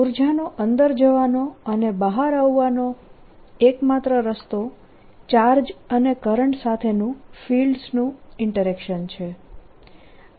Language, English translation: Gujarati, the only way the energy can go in and come out is through interaction of fields with charges and currents